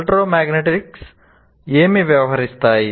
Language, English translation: Telugu, What does electromagnetics deal with